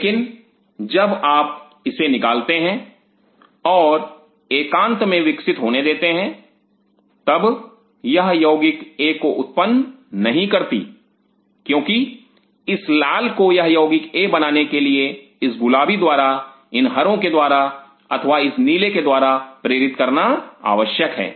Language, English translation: Hindi, But if you remove it and keep grow it in isolation it may not be able to produce at compound a because in order for this red one to produce compound a may need influence from this pink one, from these green ones, or from this blue one